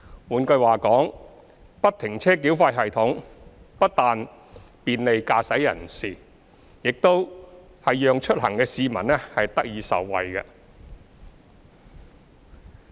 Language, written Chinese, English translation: Cantonese, 換句話說，不停車繳費系統不但便利駕駛人士，亦讓出行的市民得以受惠。, In other words FFTS not only will bring convenience to motorists but will also benefit the commuting public